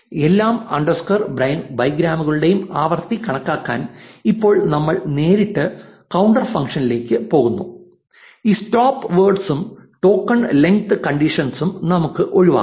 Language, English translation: Malayalam, So, we say all underscore bigrams is equal to all underscore bigrams plus bigrams and now we directly go to the counter function to count the frequency of all underscore bigrams and we can get rid of this stopwords and token length condition